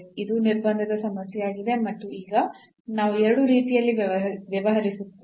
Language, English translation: Kannada, So, this is a problem of a constraint and now we will deal in two ways